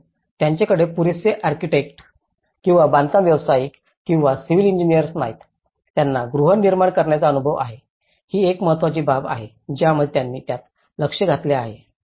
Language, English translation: Marathi, But they do not have enough architects or builders or the civil engineers who has an experience in housing, this is one important aspect which they have looked into it